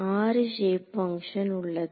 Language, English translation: Tamil, 6 shape functions ok